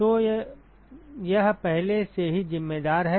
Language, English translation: Hindi, So, that is already accounted for